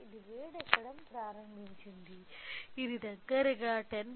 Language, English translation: Telugu, It started heating, closely it has come to 10